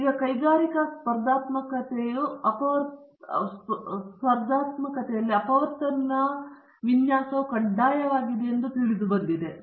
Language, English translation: Kannada, And now, it has been realized that for industrial competitiveness factorial design is compulsory